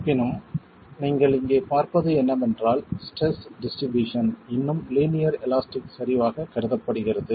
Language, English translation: Tamil, However, what you see here is that the distribution of stresses is still considered to be linear elastic